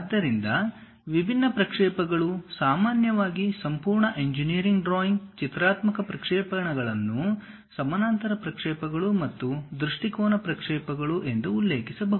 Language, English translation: Kannada, So, the different projections, typically the entire engineering drawing graphical projections can be mentioned as parallel projections and perspective projections